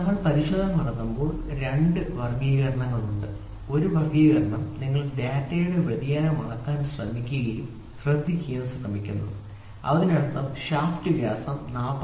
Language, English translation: Malayalam, So, here we would like when we do the inspection there are two classifications, one classification is you try to measure and note down the variation in terms of data; that means, to say the shaft diameter is 40